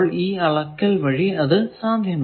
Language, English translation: Malayalam, So, with measurement you can do that